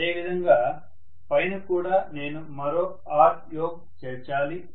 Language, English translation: Telugu, Similarly, on the top also I have to include one more R yoke